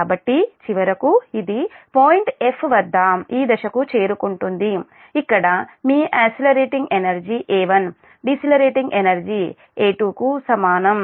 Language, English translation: Telugu, so finally it will, it will reach to this point f, where your accelerating energy a one is equal to decelerating energy a two